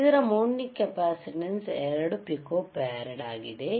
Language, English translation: Kannada, iIt is mounting capacitance is 2 pico farad